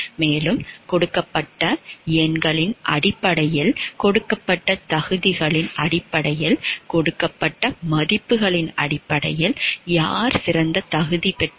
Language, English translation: Tamil, And whoever qualifies best based on the numberings given, based on the qualifications given, based on the scores given on that qualification that person gets selected because of his or her performance